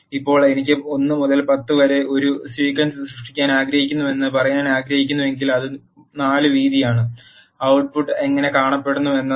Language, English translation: Malayalam, Now if I want to say I want to create a sequence from 1 to 10 which is having a width of 4 this is how the output looks